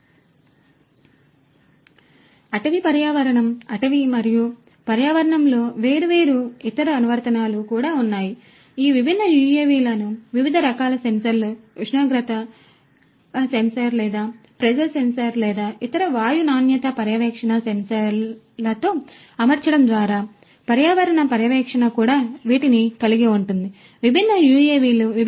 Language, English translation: Telugu, So, likewise there are different other applications in the forestry environment, forestry and environment as well, environmental monitoring by equipping these different these UAVs with different types of sensors temperature sensor or pressure sensor or different other you know air quality monitoring sensors could also be equipped with these different UAVs